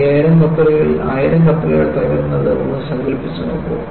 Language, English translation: Malayalam, And imagine, out of the 5000 ships, 1000 ships break